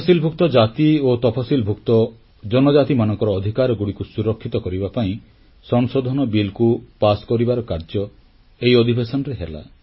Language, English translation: Odia, An amendment bill to secure the rights of scheduled castes and scheduled tribes also were passed in this session